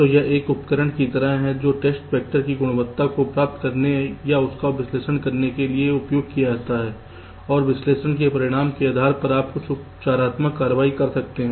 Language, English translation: Hindi, so this is more like a tool which is used to get or analyze the quality of the test vectors and, depending on the result of the analysis, you can take some remedial actions